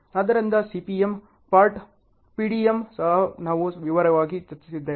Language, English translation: Kannada, So, CPM, pert, PDM also we have discussed in detail